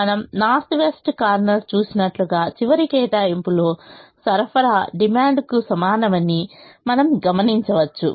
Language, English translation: Telugu, as we saw in the north west corner, the last allocation, we will observe that the supply is equal to the demand